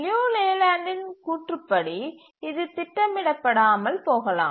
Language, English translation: Tamil, So, according to Liu Leyland, it may not be schedulable